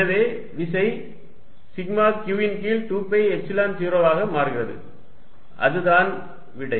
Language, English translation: Tamil, And therefore, the force becomes sigma q upon 2 pi Epsilon 0 and that is the answer